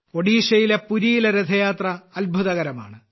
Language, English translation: Malayalam, The Rath Yatra in Puri, Odisha is a wonder in itself